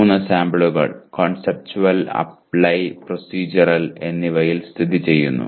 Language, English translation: Malayalam, Three samples are located in Conceptual, Apply and Procedural